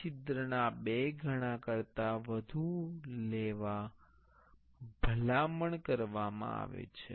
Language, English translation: Gujarati, It is recommended to go more than 2 times of this hole